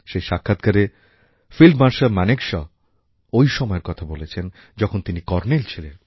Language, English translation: Bengali, In that interview, field Marshal Sam Manekshaw was reminiscing on times when he was a Colonel